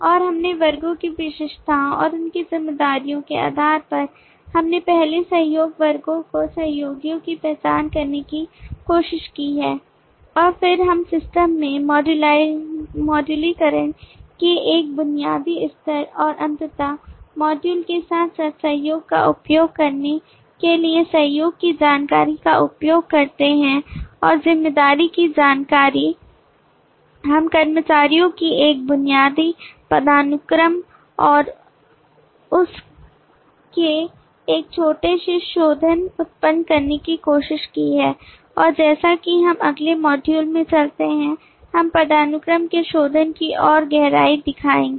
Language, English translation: Hindi, and in this based on the classes attributes and their responsibilities we have first tried to identify the collaborating classes the collaborators and then we use the collaboration information to create a basic level of modularization in the system and finally using the modules as well as the collaboration and responsibility information we have tried to generate a basic hierarchy of employees and a little refinement of that and as we move into the next module we will show further depths of refinement of hierarchy